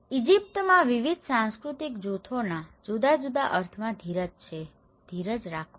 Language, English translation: Gujarati, The different meanings to different cultural groups, in Egypt have patience, be patient okay